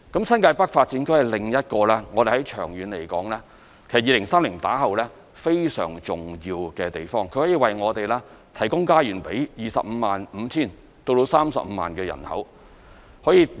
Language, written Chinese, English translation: Cantonese, 新界北發展區是另一個我們在長遠來說，在2030年後非常重要的地方，可以為我們提供家園予 255,000 至 350,000 人口。, From a long - term perspective the New Territories North Development Area is an important area after 2030 as it can provide homes for a population of 255 000 to 350 000